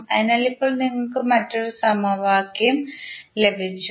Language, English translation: Malayalam, So, how we will get the second equation